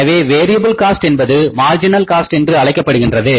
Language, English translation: Tamil, Variable cost is called as the marginal cost also